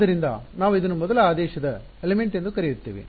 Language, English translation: Kannada, So, we will call this a first order element